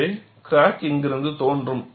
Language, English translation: Tamil, So, crack will originate from here